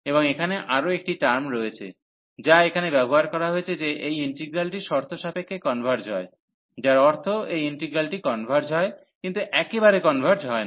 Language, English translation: Bengali, And there is a one more term, which is used here that this integral converges conditionally meaning that this integral converges, but does not converge absolutely